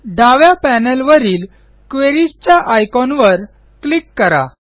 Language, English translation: Marathi, Let us click on the Queries icon on the left panel